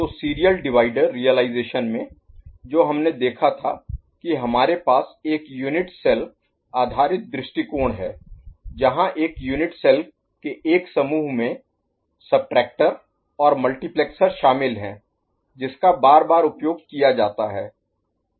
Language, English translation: Hindi, So, in serial divider realization the one that we had seen we have a unit cell based approach where one bank of unit cell comprising of subtractor and multiplexer is used in a successive manner ok